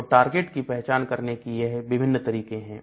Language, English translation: Hindi, So, there are different ways of identifying your target